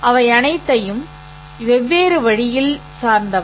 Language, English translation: Tamil, They are all oriented at a different way